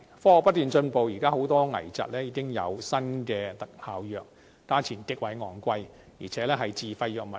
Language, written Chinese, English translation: Cantonese, 科學不斷進步，現時很多危疾已有新的特效藥，價錢極為昂貴，而且屬自費藥物。, Thanks to constant scientific advancements many critical illnesses can now be treated by new wonder drugs . However not only are these drugs very expensive but they are also classified as self - financed drugs